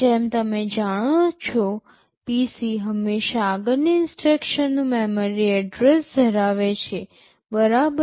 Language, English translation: Gujarati, As you know PC always holds the address of the next instruction in memory to be executed right